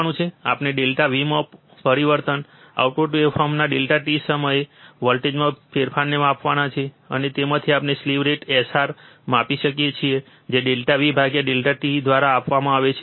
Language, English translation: Gujarati, We have to measure the change in delta V, change in voltage at time delta t of the output waveform, and from that we can measure the slew rate SR which is given by delta V by delta t